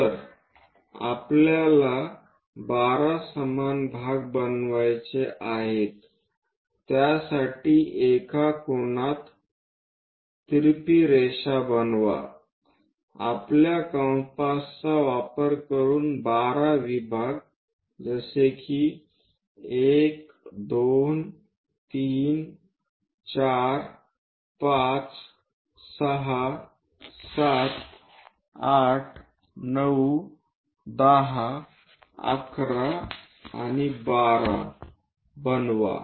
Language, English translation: Marathi, So, to construct 12 equal parts what we have to do is make a inclined line, use our compass to make 12 sections something 1, 2, 3, 4, 5, 6, 7, 8, 9, 10, 11 and 12